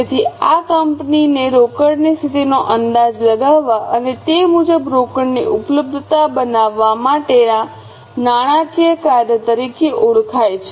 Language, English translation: Gujarati, So, this is known as a finance function for the company to estimate the cash position and accordingly make the availability of cash